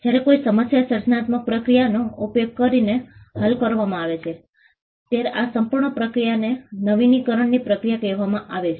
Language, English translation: Gujarati, When there is a problem that is solved using a creative process this entire process is called Process of Innovation